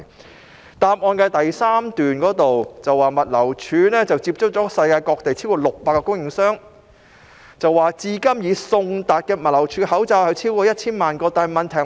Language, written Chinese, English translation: Cantonese, 主體答覆中第三部分提到，"物流署已接洽了世界各地超過600個供應商......至今已送達物流署的口罩超過1000萬個"。, According to part 3 of the main reply GLD has contacted more than 600 suppliers from all over the world over 10 million of the masks have been delivered to GLD